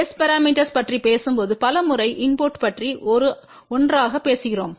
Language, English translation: Tamil, However many a times when we talk about S parameter we generally talk about input as 1